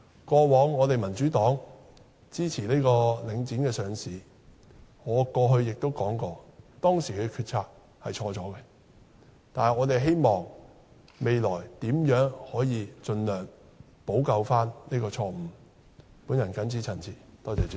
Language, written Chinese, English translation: Cantonese, 過往民主黨支持領展上市，我過去也說過，當時的決策是錯誤的，但我們希望未來可以盡量補救這個錯誤。, In the past the Democratic Party supported the listing of The Link REIT . I have also said before that the decision made back then was wrong but we hope that this mistake can be remedied as far as possible